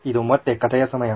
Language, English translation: Kannada, It’s story time again